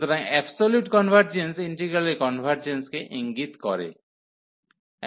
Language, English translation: Bengali, So, absolute convergence implies the convergence of the integral